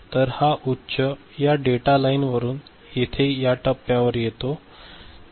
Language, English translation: Marathi, So, this high comes over here through this data line and comes to this point